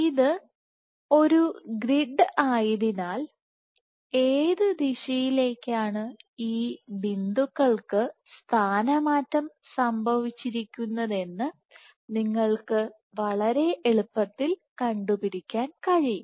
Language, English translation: Malayalam, So, since this is a grid you can very easily capture in what direction these beads have been these points have been deformed